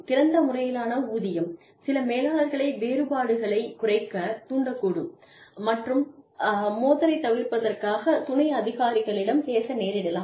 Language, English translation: Tamil, Open pay might induce some managers, to reduce differences and pay, among subordinates, in order to, avoid conflict